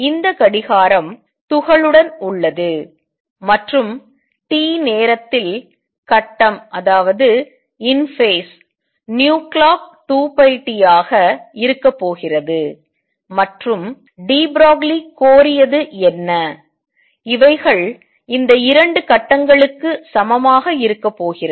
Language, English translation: Tamil, This clock is with the particle and there phase in time t is going to be nu clock times t times 2 pi, and what de Broglie demanded that these to be equal these 2 phases are going to be equal